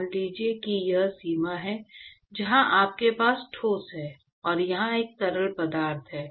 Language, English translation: Hindi, So, note that so, supposing if this is the boundary, where you have solid here, and a fluid here